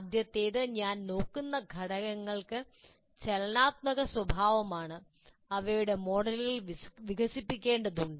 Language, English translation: Malayalam, So first thing is the elements that I'm looking at are dynamic in nature and their models are developed